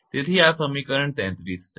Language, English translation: Gujarati, So, this is equation 33